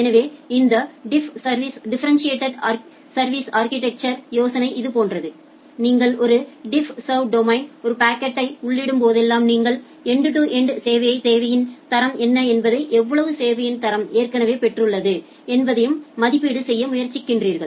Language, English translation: Tamil, So, the idea of this differentiated service architecture is something like this, that whenever you are entering a packet to one DiffServ domain, what you try to do you try to make an estimation about what is the end to end quality of service requirement, and how much quality of service it has already obtained